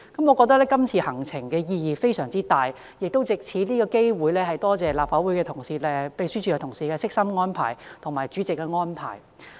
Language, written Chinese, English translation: Cantonese, 我覺得今次行程的意義非常大，亦藉此機會感謝立法會秘書處同事及主席的悉心安排。, This duty visit is highly meaningful to me and I would like to take this opportunity to thank the staff of the Legislative Council Secretariat and the President for the detailed arrangement